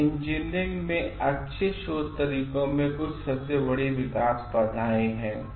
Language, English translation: Hindi, These are some of the deterrents of good research practices in engineering